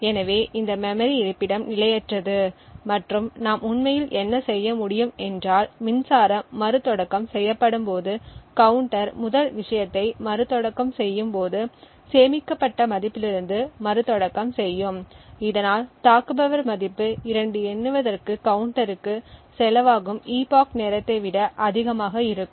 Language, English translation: Tamil, So this memory location we can assume is non volatile and what we could actually do is that when the power is restarted the first thing the counter would so is to restart from the stored value this way potentially the attacker could cost the counter to count 2 value which is greater than the epoch time